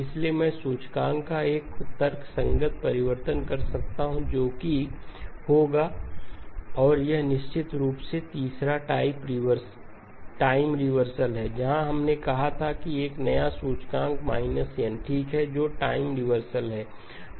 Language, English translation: Hindi, So I can do a rational transformation of the C index that will be M by L and of course the third one is the time reversal where we said that a new index will map to minus n okay that is the time reversal